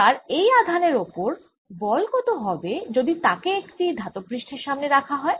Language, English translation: Bengali, now what about the force on this charge if it is brought in front of a metal surface